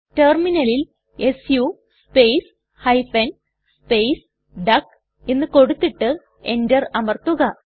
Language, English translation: Malayalam, Enter the command su space hyphen space duck on the terminal and press Enter